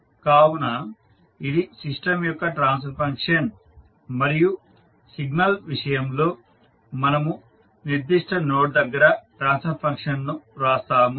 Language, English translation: Telugu, So this is a transfer function of the system and in case of signal we write the transfer function near to that particular node